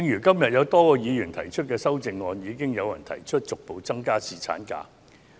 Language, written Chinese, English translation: Cantonese, 今天有多位議員提出修正案，並有議員提出逐步增加侍產假的日數。, Today various Members have proposed CSAs and some have even proposed a progressive increase of the paternity leave duration